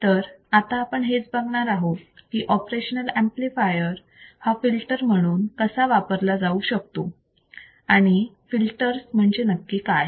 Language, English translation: Marathi, So, how we can use operational amplifier as filters and what exactly filter means